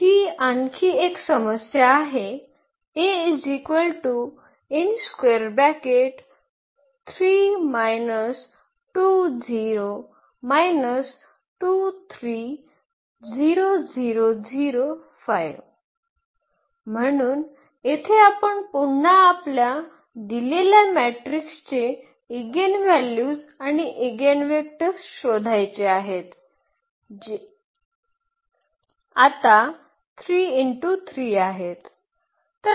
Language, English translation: Marathi, So, here again we want to find the eigenvalues and eigenvectors of this given matrix which is 3 by 3 now